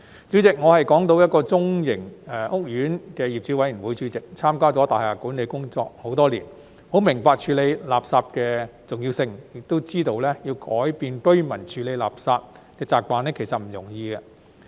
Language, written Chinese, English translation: Cantonese, 主席，我是港島一個中型屋苑的業主委員會主席，參加了大廈管理工作很多年，很明白處理垃圾的重要性，亦知道要改變居民處理垃圾的習慣，其實不易。, President I am the chairman of the owners committee of a mid - scale housing estate on Hong Kong Island . Having been taking part in building management matters for many years I am well aware of the importance of waste disposal and know that changing residents habits in handling waste is no easy task